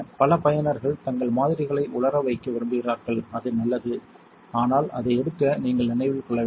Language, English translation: Tamil, A lot of users like to leave their samples to dry and that is fine, but you want to remember to pick it up